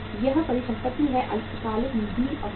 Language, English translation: Hindi, Short term funds are blocked in this asset